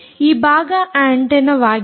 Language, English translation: Kannada, this part is the antenna